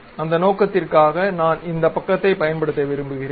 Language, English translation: Tamil, For that purpose I would like to make use of this side